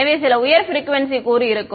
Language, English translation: Tamil, So, there will be some high frequency component right